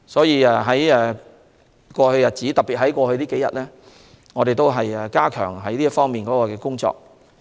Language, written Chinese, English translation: Cantonese, 因此，在過去一段時間，特別是這數天，我們已加強這方面的工作。, Therefore we have stepped up our work in this area over a period of time in the past especially these few days